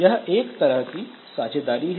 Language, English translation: Hindi, So, this is one type of sharing